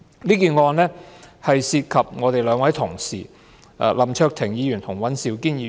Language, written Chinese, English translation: Cantonese, 這宗案件涉及我們兩位同事，林卓廷議員和尹兆堅議員。, This case involves two of our colleagues Mr LAM Cheuk - ting and Mr Andrew WAN